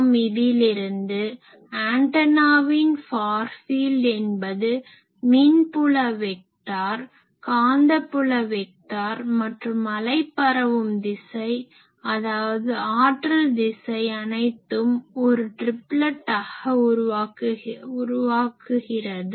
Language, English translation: Tamil, It shows that in the far field of an antenna the electric field vector, magnetic field vector and the direction of wave propagation, or direction of power flow, they are also forming a triplet